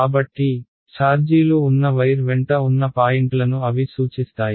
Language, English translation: Telugu, So, those refer to the points along the wire where the charges are right